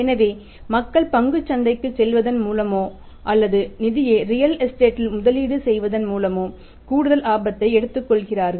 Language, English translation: Tamil, So, if people are taking additional risk by going to stock market or by investing the funds in the real estate